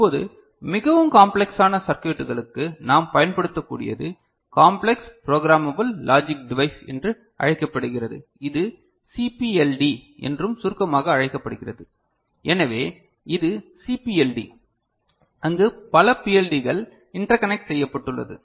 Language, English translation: Tamil, Now, for more complex circuits what we use is called complex programmable logic device which we can use and it is also abbreviated as CPLD ok, so this is CPLD ok, where multiple PLDs are interconnected right